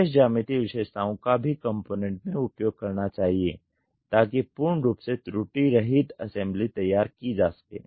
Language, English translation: Hindi, Special geometric features must sometimes be added to the component to achieve full proof assembly